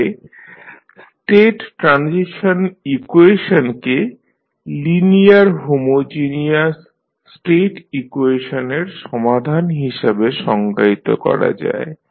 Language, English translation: Bengali, So, the state transition equation is define as the solution of linear homogeneous state equation